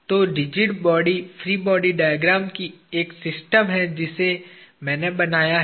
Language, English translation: Hindi, So, there is one system of rigid body free body diagram that I have drawn